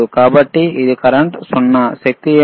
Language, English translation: Telugu, So, it is current is 0, what is the power